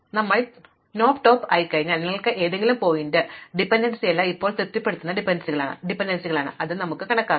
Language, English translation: Malayalam, Now, once we have knocked off the dependency you see any vertex from which all its dependencies are now satisfied and then we can enumerate that